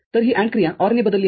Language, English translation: Marathi, So, this AND operation is replaced with OR